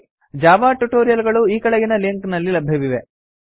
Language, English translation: Kannada, Java tutorials are available at the following link